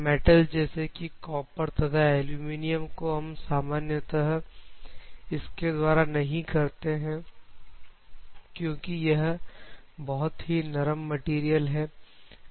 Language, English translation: Hindi, Metal such as copper aluminum normally you do not prefer copper and aluminum and other things because these are the soft materials, but you can always use it